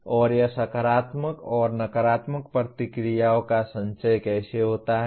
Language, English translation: Hindi, And how does this accumulation of positive and negative reactions take place